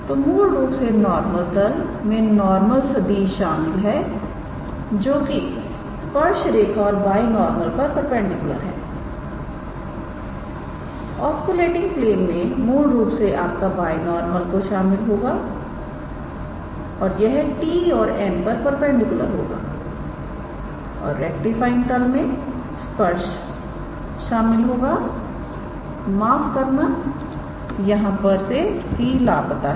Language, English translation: Hindi, So, basically the normal plane will contain the normal vector perpendicular to tangent line and binormal, the oscillating plane we will contain your binormal basically and it will be perpendicular to t and n and the rectifying plane we will contain the tangent sorry here there is the c missing